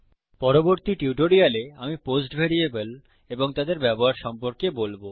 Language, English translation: Bengali, In my next tutorial, I will talk about the post variable and its uses